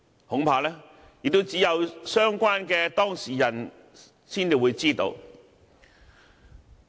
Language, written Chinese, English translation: Cantonese, 恐怕只有相關當事人才知道。, I am afraid only the persons concerned will have an answer